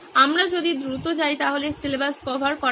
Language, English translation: Bengali, If we go fast syllabus is covered